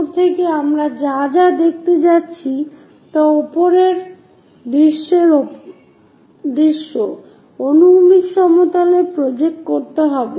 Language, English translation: Bengali, From top whatever we are going to look at that will be projected on to top view, on the horizontal plane